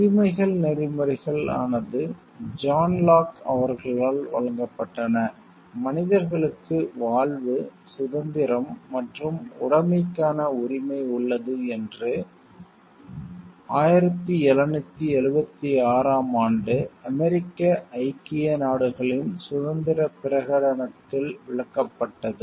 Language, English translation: Tamil, Rights ethics was given by John Locke whose statement that human beings have a right to life, liberty and property was paraphrased in the declaration of independence of the soon to be United States of America in 1776